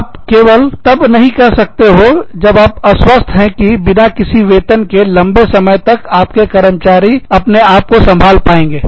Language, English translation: Hindi, You can only say that, when you are sure, that your employees can sustain themselves, for long periods of time, without any salaries